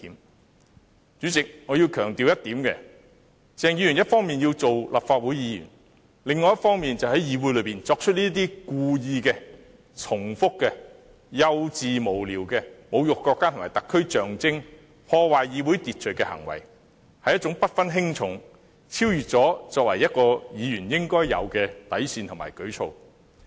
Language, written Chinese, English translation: Cantonese, 代理主席，我要強調一點，鄭議員一方面要做立法會議員，另一方面卻在議會內作出這些故意、重複、幼稚、無聊的侮辱國家和特區象徵、破壞議會秩序的行為，這是一種不分輕重、超越作為議員應有底線的舉措。, Deputy President I have to emphasize one point . On the one hand Dr CHENG wants to be a Legislative Council Member but on the other he has engaged in these deliberate repeated childish frivolous acts of desecrating the symbol of the country and HKSAR and disrupting the order of the Council . These acts have failed to differentiate the insignificant from the significant and crossed the bottom line by which Legislative Council Members should abide